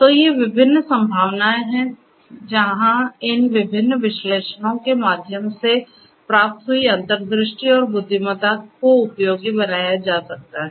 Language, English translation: Hindi, So, these are the different possibilities where the new insights and intelligence that are derived through these different analytics could be made useful